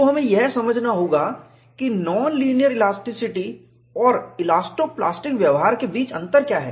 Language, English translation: Hindi, So, we will have to understand, what is the difference between non linear elasticity and elasto plastic behavior